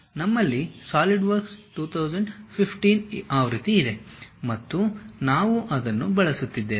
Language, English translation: Kannada, We have Solidworks 2015 version and we are using that